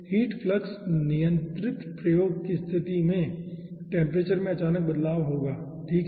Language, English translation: Hindi, okay, so in case of heat flux controlled experiment, you will be finding out this sudden jump of the temperature